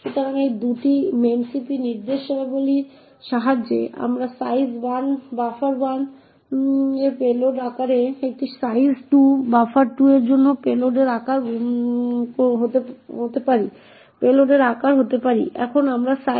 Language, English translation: Bengali, So, therefore with these 2 memcpy instructions we obtain size 1 to be the size of the payload for buffer 1 and size 2 to be the size of the payload for buffer 2